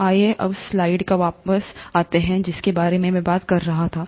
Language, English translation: Hindi, So let’s come back to the slide which I was talking about